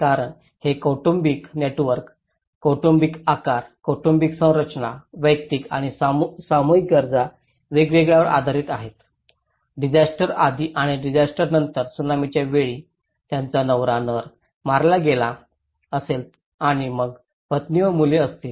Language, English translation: Marathi, Because, it is also based on the family networks, the family size, the family structures, the individual and collective needs vary, before disaster and after disaster a husband male he has been killed during a tsunami and then the wife and the children will be homeless and livelihood less